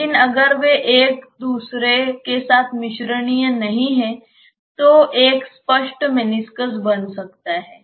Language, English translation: Hindi, But if they are not miscible with each other there may be a clear meniscus that is formed